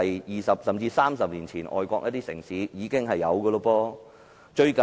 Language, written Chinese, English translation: Cantonese, 二十年前，甚至30年前，外國城市已經採用這些措施。, Some foreign cities have already adopted these measures 20 years or even 30 years ago